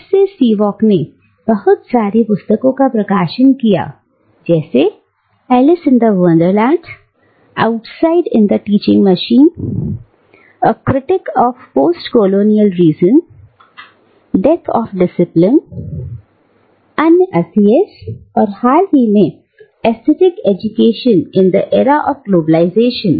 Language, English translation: Hindi, Since then, Spivak has gone on to publish a number of books including In Other Worlds, Outside in the Teaching Machine, A Critique of Postcolonial Reason, Death of A Discipline, Other Asias, and more recently, Aesthetic Education in the Era of Globalization